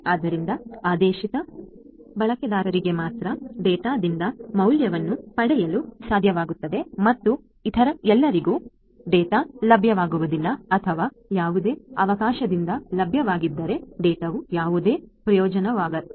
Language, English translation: Kannada, So, only the intended users will be able to derive value out of the data and for all others, the data will either not be made available or if it is made available by any chance, then the data will not be of any use to the others